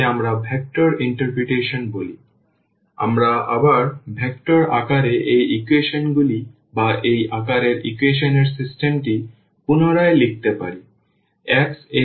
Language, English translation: Bengali, So, we can again rewrite these equation or the system of equation in this form in the vectors form